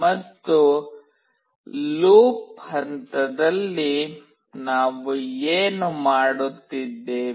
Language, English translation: Kannada, And in the loop phase, what we are doing